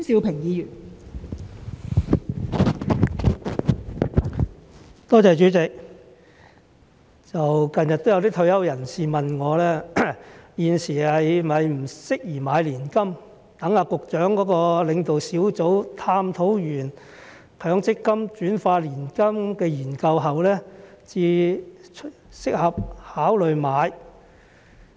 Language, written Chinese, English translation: Cantonese, 近日有些退休人士問我，現時是否不適宜買年金，待局長的領導小組探討完強積金轉化年金的研究後，才適合考慮買？, Recently some retirees have asked me whether it is inopportune to take out an annuity at this moment unless and until the working group led by the Secretary has studied the conversion of MPF assets into annuities